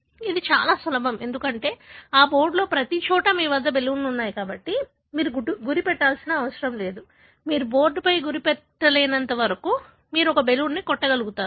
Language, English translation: Telugu, So, it is very easy, because there are, everywhere in that board you have balloons, so you do not need to aim, as long as you aim at theboard you will be able to hit one of the balloons